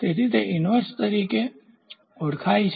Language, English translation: Gujarati, So, that is called as inverse